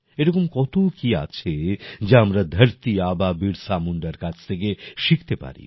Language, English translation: Bengali, There is so much that we can learn from Dharti Aba Birsa Munda